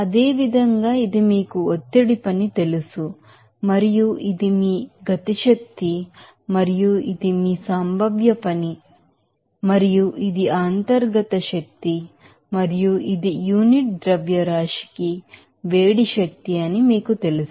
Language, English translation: Telugu, Similarly, this is your you know pressure work and this is your kinetic energy and this is your potential work and this is what is that internal energy and this is your you know that heat energy per unit mass